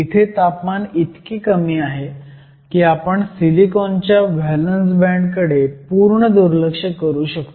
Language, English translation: Marathi, Once again your temperature is low enough that you can ignore any contribution from the valence band of silicon